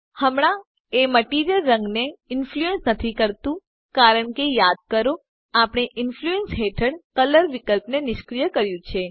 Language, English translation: Gujarati, Right now it is not influencing the material color because remember we disabled the color option under Influence